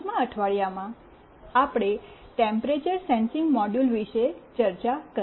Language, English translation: Gujarati, In week 5, we discussed about temperature sensing module